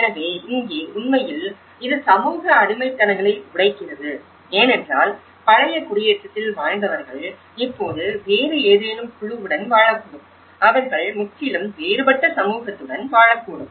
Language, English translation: Tamil, So, here, which actually breaks the social bondages because who was living in the old settlement and now, they may live with some other group, they may end up with completely different community